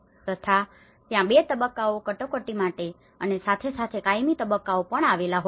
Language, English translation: Gujarati, So, there is two phases of the emergency phase and as well as the permanent phase